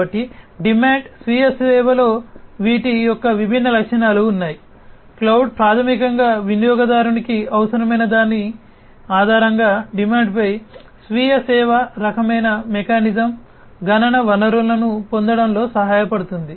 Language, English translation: Telugu, So, there are different features of these on demand self service, cloud basically helps in getting through a self service kind of mechanism computational resources on demand based on what the user requires